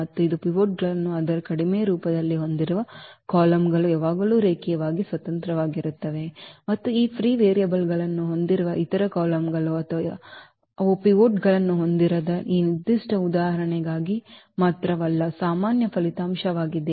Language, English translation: Kannada, And this is the general result also not just for this particular example that the columns which we have the pivots in its reduced form they are linearly independent always and the other columns which have these free variables or where they do not have the pivots, they actually are linearly dependent